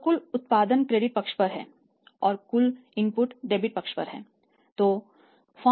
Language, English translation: Hindi, So, total output is on the credit side right and total input is on the debit side